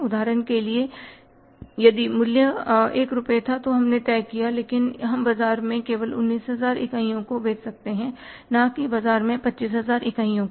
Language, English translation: Hindi, But for example the price was 1 rupee but we decided but we could sell only 19,000 units in the market not 25,000 units in the market in that case it is a factor to be seen because it was controllable